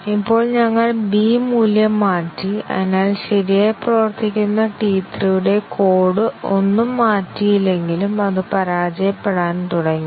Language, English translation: Malayalam, And now, we have changed the value b and therefore, T 3 which was working correctly, has started fail, even though none of the code of T 3 was changed